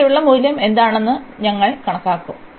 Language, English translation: Malayalam, And we will compute what is the value here